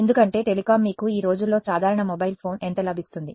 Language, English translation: Telugu, Because well telecom you how much you get an ordinary set of mobile phone for these days